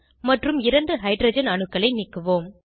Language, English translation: Tamil, Two hydrogen atoms are added to the molecule